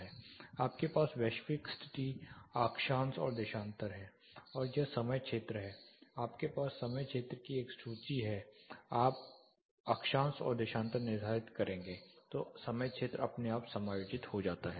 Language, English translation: Hindi, You have the global position latitude and longitude plus this is the time zone you have a list of time zones, moment you set latitude and longitude the time zone gets adjusted automatically